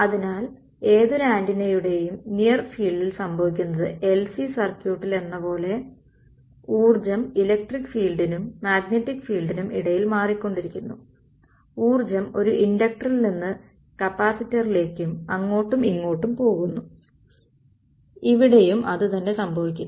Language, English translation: Malayalam, So, what happens in the near field of any antenna is that the energy keeps shuffling between the electric field to magnetic field like in LC circuit, energy goes from an inductor to capacitor and back and forth same thing happens over here